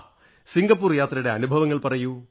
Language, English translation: Malayalam, How was your experience in Singapore